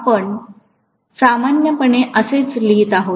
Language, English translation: Marathi, That is what you write normally